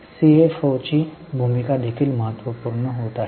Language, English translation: Marathi, The role of CFO is also becoming important